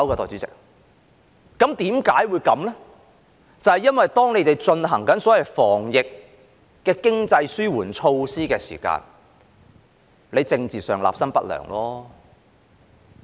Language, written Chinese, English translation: Cantonese, 就是因為政府進行所謂防疫的經濟紓緩措施時，政治上立心不良。, It is because in implementing the so - called economic relief measures against the epidemic the Government is politically ill - intentioned